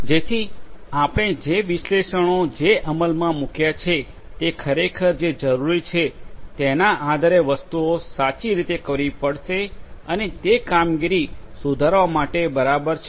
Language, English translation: Gujarati, So, your analytics that you implement will have to do the things correctly based on what is actually required and is suitable for improving the operations